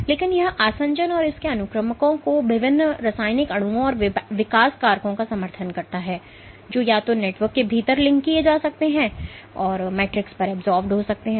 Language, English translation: Hindi, But it supports adhesion and its sequesters various chemical molecules and growth factors, that can either be cross linked within the network or just adsorbed on to the matrix